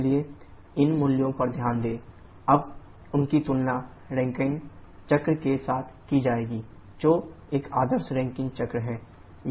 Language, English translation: Hindi, So note this numbers now shall be comparing them with the Rankine cycle an ideal Rankine cycle